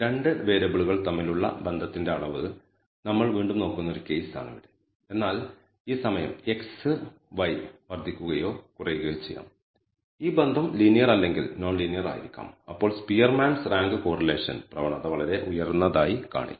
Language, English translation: Malayalam, Now here is a case where we only look at the again look for degree of association between 2 variables, but this time the relationship may be either linear or non linear if x increases y increases or decreases monotonically then the Spearman’s Rank Correlation will tend to be very high